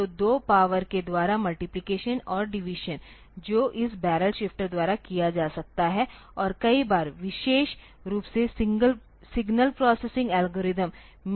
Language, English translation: Hindi, So, multiplication and division by powers of 2, so, that can be done by this barrel shifter and many a times particularly in signal processing algorithms